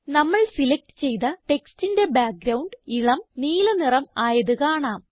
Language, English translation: Malayalam, We see that the background color of the selected text changes to light green